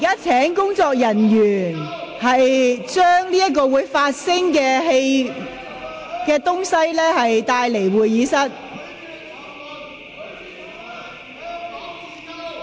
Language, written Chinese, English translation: Cantonese, 請工作人員將發聲裝置帶離會議廳。, Will staff members please bring the sound device out of the Chamber